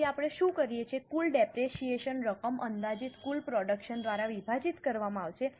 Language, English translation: Gujarati, So, what we do is total depreciable amount will divide it by the estimated total production